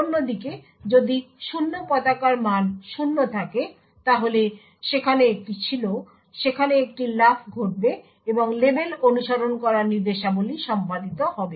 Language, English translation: Bengali, On the other hand, if the 0 flag has a value of 0 then there is a jump which takes place and the instructions following the label would execute